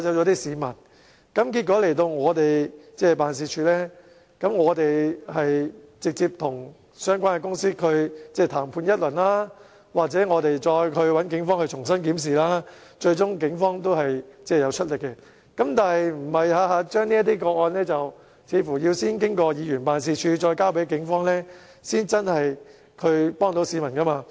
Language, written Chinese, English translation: Cantonese, 結果投訴人到來我們的辦事處，我們直接與相關公司談判一番，又或找警方重新檢視，最終警方會出力，但似乎這些個案每每首先要經議員辦事處再交給警方，才能真正幫助市民。, As a result the complainants came to our office . We negotiated with the relevant companies direct or asked the Police to review the cases again . Eventually the Police would do something but it seems that this kind of cases often need to be referred to the Police by Members ward offices in order to really get help